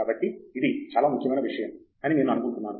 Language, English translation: Telugu, I think that it is a very important point